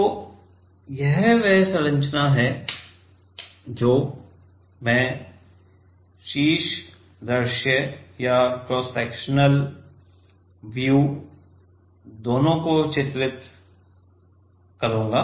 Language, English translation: Hindi, So, this is the structure I am; I will be drawing both the top view and the cross sectional view